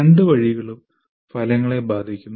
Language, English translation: Malayalam, Both ways the outcomes are affected